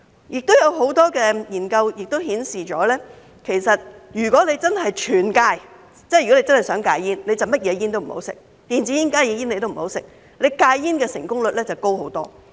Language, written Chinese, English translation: Cantonese, 另有很多研究顯示，如果真的想戒煙，便要全面戒煙，即所有煙也不吸，電子煙、加熱煙也不要吸，這樣戒煙的成功率便高得多。, Many studies have also shown that if a person really wants to quit smoking he or she should quit smoking altogether and stop smoking all kinds of cigarettes including e - cigarettes and HTPs . Then the success rate will be much higher